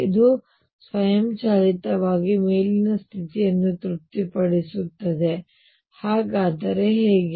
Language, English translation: Kannada, This automatically satisfies the upper property, how so